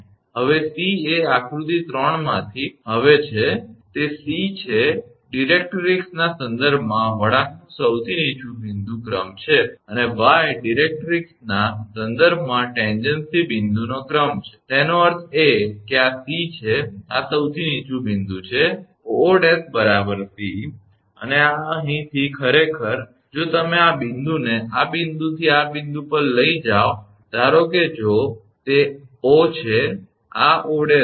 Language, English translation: Gujarati, Now, c is the now from figure 3, it is c is the ordinate of the lowest point of the curve with respect to the directrix, and y is the ordinate of the point of tangency with respect to the directrix; that means, this is the c, this is the lowest point O O dash is equal to c and this from here actually if you take this this point from this point to this point suppose if it is O this is O dash